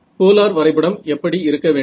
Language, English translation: Tamil, So, what should it, what should the polar plot be